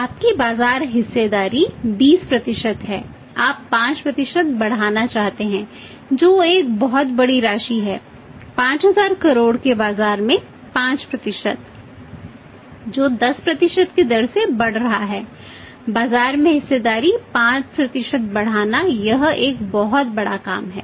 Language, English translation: Hindi, So, because your market share is 20% so, you want to increased by 5% which is a very, very large amount substantial amount 5% in the market of 5000 crores which is growing at the rate of 10% growing is means increasing the market share say by 5% that is a very big task